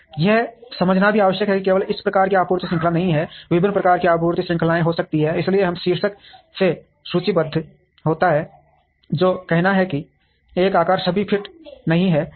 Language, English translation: Hindi, It is also necessary to understand that there is not only one type of supply chain, there could be different types of supply chain, so that is listed by the heading which says one size does not fit all